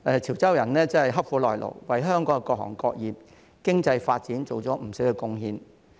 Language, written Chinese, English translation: Cantonese, 潮州人刻苦耐勞，多年來為香港各行各業、經濟發展作出不少貢獻。, Being assiduous and able to endure hardship Chiu Chow people have made substantial contribution to various trades and the economic development of Hong Kong over the years